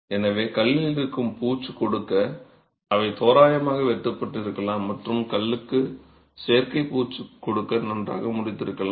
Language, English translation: Tamil, So, they could be rough hewn to give the finish that stone would have or even cut and well dressed to give an artificial finish to stone as well